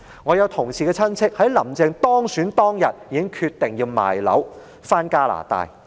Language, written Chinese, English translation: Cantonese, 我同事的親戚在"林鄭"當選當天已經決定出售物業，返回加拿大。, The relatives of a colleague of mine decided to sell their properties and return to Canada the day Carrie LAM was elected